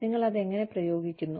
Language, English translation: Malayalam, How you apply it